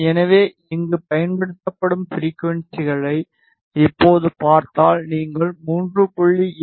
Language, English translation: Tamil, So, if you see now the frequencies applied over here, you can enter 3